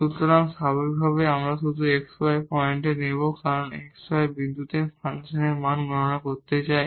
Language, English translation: Bengali, So, naturally we will take just the x y points, because we want to compute the value of the function at the x y point